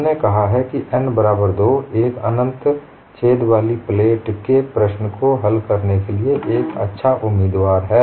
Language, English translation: Hindi, We have said n equal to 2, is the good candidate for solving the problem of a plate with an infinite hole